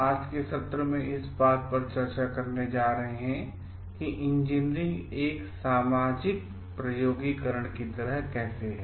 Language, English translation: Hindi, In today s session, we are going to discuss on how Engineering is like a Social Experimentation